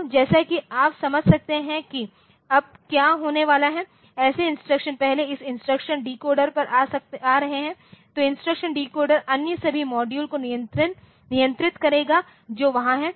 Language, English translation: Hindi, So, instruction deco so, as you can understand now what is going to happen like the instructions are first coming to this instruction decoder so, instruction decoder will control all other module that are there